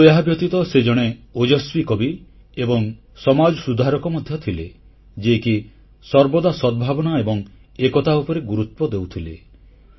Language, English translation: Odia, But besides these sterling qualities, he was also a striking poet and a social reformer who always emphasized on goodwill and unity